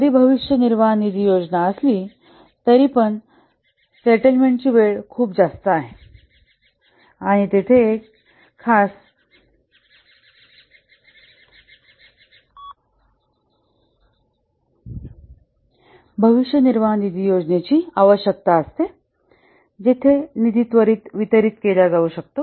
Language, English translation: Marathi, Though there is a provident fund scheme, but the settlement time is very high and there is a need for a special provident fund scheme where the fund can be disbursed immediately